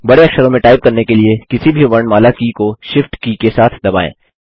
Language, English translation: Hindi, Press the shift key together with any other alphabet key to type capital letters